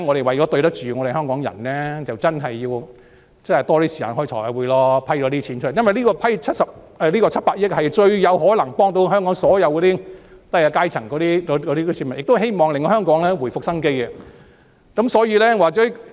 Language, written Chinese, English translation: Cantonese, 為了對得起香港人，我們要多些時間開財委會會議，以批出這些款項，因為這700億元是最能幫助香港低下階層的市民的，亦希望可令香港回復生機。, To live up to the expectations of Hongkongers we must spend more time holding Finance Committee meetings to make available these funds for this 70 billion will be most helpful to the lower - class people in Hong Kong . It is also hoped that this can enable Hong Kong to come back to life again